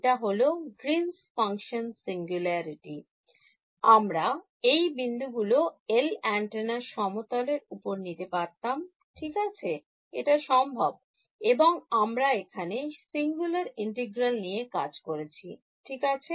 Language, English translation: Bengali, The Green's function singularity, I could have chosen the points to be on the same on the surface of the antenna right it's possible and we have dealt with singular integrals right